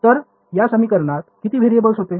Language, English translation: Marathi, So, how many variables were there in this equation